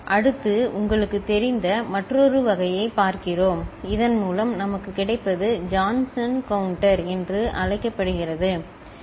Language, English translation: Tamil, Next, we look at another type of you know, feedback by which what we get is called Johnson counter, ok